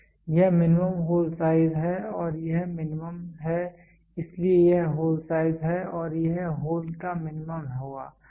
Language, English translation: Hindi, This is the minimum hole size and this is minimum, so this is a hole size and this will be the minimum of the hole and this is a minimum of the